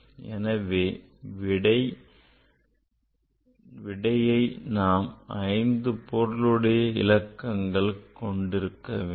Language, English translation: Tamil, So, for this number the it has 5 significant figures